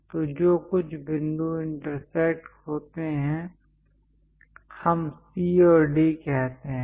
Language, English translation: Hindi, So, whatever the points intersected; let us call C and D